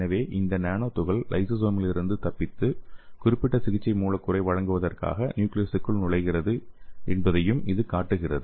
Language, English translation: Tamil, So it shows that this nano particle is escaping from the lysosome and it is entering into the nucleus to deliver the particular therapeutic molecule